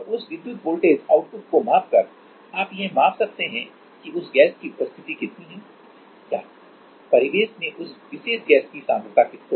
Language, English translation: Hindi, And by measuring that electrical voltage output you can measure that how much is the presence of this that gas or what is the concentration of that particular gas in the ambient